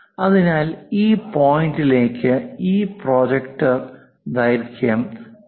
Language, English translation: Malayalam, So, this point to that point, this projector length is 0